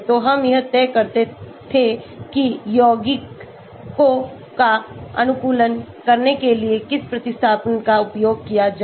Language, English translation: Hindi, so we used to decide which substituent to use if optimizing compounds